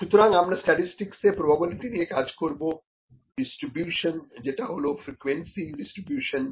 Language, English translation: Bengali, So, what we will deal with in statistics is the probability, the distribution that will have would be the frequency distribution which would be based upon the probability density function